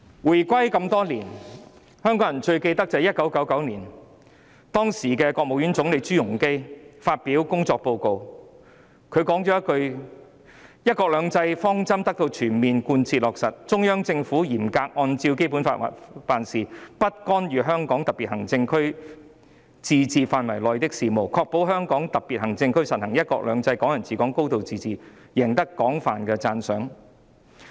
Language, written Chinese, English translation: Cantonese, 回歸這麼多年，香港人最記得的是1999年，時任國務院總理朱鎔基發表工作報告，他說："'一國兩制'方針得到全面貫徹落實，中央政府嚴格按照《基本法》辦事，不干預香港特別行政區自治範圍內的事務，確保香港特別行政區實行'一國兩制'、'港人自治'、'高度自治'，贏得廣泛的讚賞。, As such where have all the principles of one country two systems the Basic Law Hong Kong people ruling Hong Kong and a high degree of autonomy gone? . Years after the reunification what Hongkongers remember most is that in 1999 ZHU Rongji the then Premier of the State Council presented a work report in which he said to this effect The direction of one country two systems has been implemented comprehensively and thoroughly . Working in strict compliance with the Basic Law the Central Government does not interfere in the affairs within the autonomy of the Hong Kong SAR and ensures the implementation of one country two systems Hong Kong people ruling Hong Kong and a high degree of autonomy in the HKSAR thus winning universal praises